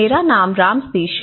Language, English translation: Hindi, My name is Ram Sateesh